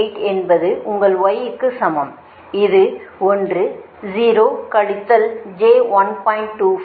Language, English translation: Tamil, so y, your what you call y one, two, y two one will minus y one, two